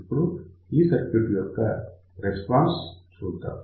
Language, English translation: Telugu, So, let us see the response of this particular circuit